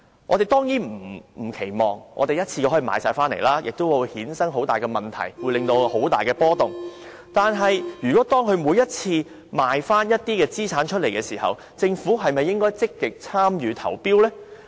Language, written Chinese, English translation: Cantonese, 我們當然不期望可以一次過全部回購，這樣亦會衍生很大問題，引起市場很大的波動；但是，如果當領展每次出售資產時，政府是否應積極參與投標呢？, We certainly do not expect a full buy - back in one go for this would lead to enormous problems and huge volatilities in the market . But every time when Link REIT puts up its assets for sale should we actively take part in bidding for them?